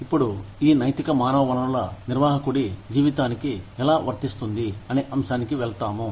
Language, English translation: Telugu, Now, we will move on to the topic of, how these ethics are applicable, to the life of a human resource manager